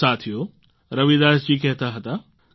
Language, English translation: Gujarati, Friends, Ravidas ji used to say